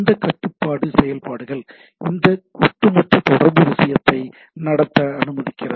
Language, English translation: Tamil, And this control functions allows this overall communication thing to happen right